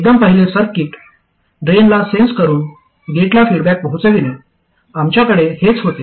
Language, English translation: Marathi, The very first circuit sensing at the drain and feeding back to the gate, this is what we had